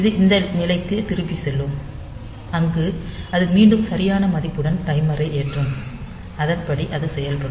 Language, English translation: Tamil, So, it will jump back to this point, where it will be again loading the timer with the appropriate value, and accordingly it will work